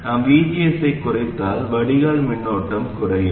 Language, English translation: Tamil, If we reduce VGS, then the drain current will come down